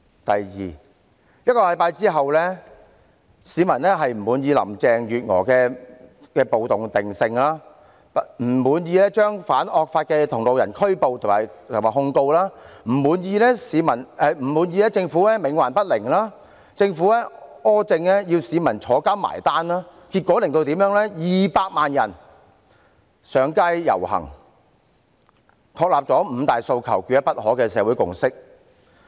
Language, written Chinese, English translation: Cantonese, 第二 ，1 星期後，市民不滿意林鄭月娥的"暴動"定性、不滿意反惡法的同路人被拘捕和控告、不滿意政府冥頑不靈、不滿意政府的苛政要由市民入獄"埋單"，結果導致200萬人上街遊行，確立了"五大訴求，缺一不可"的社會共識。, Second one week after that 2 million people took to the streets as they were dissatisfied with Carrie LAMs riot classification the arrests and charges made against the protesters the Governments obstinacy and tyrannical stance of putting people behind bars as a conclusion of the matter . They reached the social consensus of five demands not one less